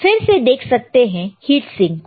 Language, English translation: Hindi, And again, there is a heat sink